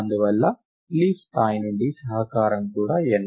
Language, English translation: Telugu, Therefore, the contribution from the leaf level is also n